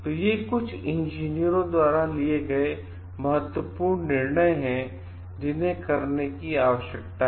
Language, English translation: Hindi, These are certain crucial decisions, which needs to be taken by the engineers